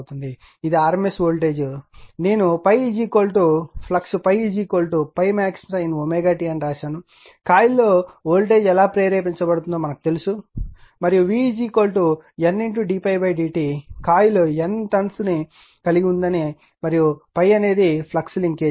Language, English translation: Telugu, This is the RMS voltage a simple thing just for this thing I have written the phi is equal to flux is phi is equal to phi max sin omega t then, how the voltage will be induced and we know v is equal to, N d phi by d t in coil you have N number of tones and phi is the flux linkage